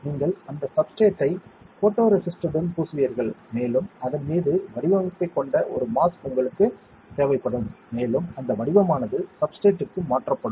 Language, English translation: Tamil, You will coat that substrate with the photoresist and you need a mask with the pattern design on it, and that pattern will be transferred onto the substrate correct